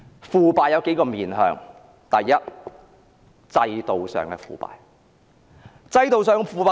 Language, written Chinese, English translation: Cantonese, 腐敗有數個方面，第一，是制度上的腐敗。, Corruption has several faces . First it can be institutional corruption